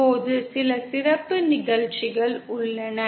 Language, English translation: Tamil, Now there are some special cases possible